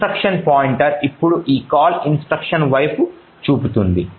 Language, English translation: Telugu, The instruction pointer now is pointing to this call instruction